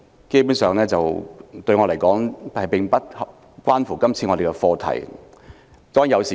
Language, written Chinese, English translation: Cantonese, 基本上，對我來說，言論自由與今次的課題無關。, Basically in my view freedom of speech has nothing to do with the subject now under discussion